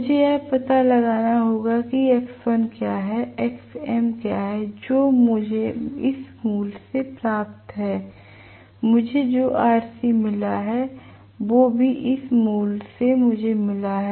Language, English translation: Hindi, I will have to find out what is x1, I have to get what is xm which I have got exactly from this value I have got rc which is also from this value what I have got